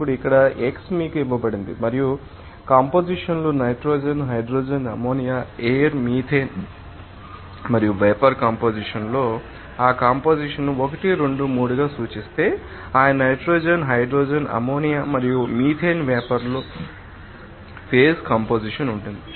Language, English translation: Telugu, Now, here x is given to you and the compositions are nitrogen hydrogen ammonia air methane as for you know figure and in the vapor composition as you know that if we denote that composition as 1, 2, 3 for that respective nitrogen hydrogen ammonia and methane then in the vapor phase what will be the composition